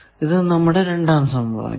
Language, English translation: Malayalam, So, this we are calling second equation